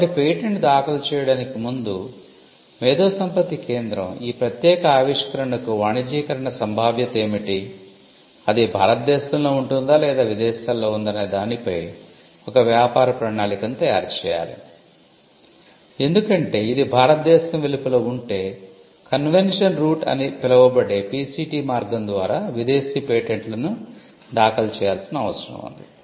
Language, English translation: Telugu, So, before filing a patent the IP centre will have to look at or draw a business plan as to what is the commercialization potential for this particular invention, whether it resides in India or whether it is abroad because if it is outside India then it would require filing foreign patents by what we call the PCT route or the convention route which again the cost of investment made before the commercialization which is what patenting caused us then that shoots up